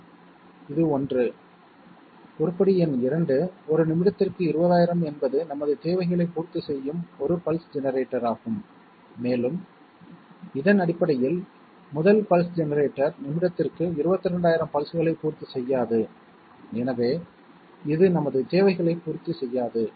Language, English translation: Tamil, Yes, this is the one, the item number two, 20,000 per a minute is the one pulse generator that will satisfy our requirements and it it essentially also means that the first pulse generator 22,000 pulses per minute, it will not satisfy our requirements, so we cannot take it